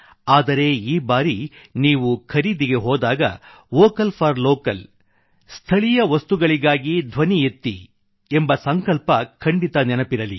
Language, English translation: Kannada, But this time when you go shopping, do remember our resolve of 'Vocal for Local'